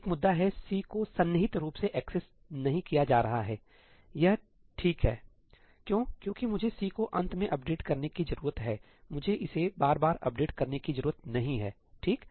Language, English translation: Hindi, One issue is C is not being accessed contiguously; that is okay, why because I only need to update C at the end, I do not need to keep on updating it, right